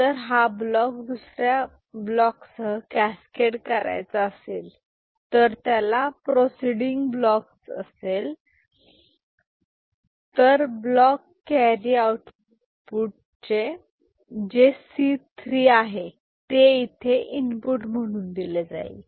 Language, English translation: Marathi, And, if it is a block which is to be cascaded with another block, there is block proceeding to it, then that block carry output which is C 3 will be fed as input here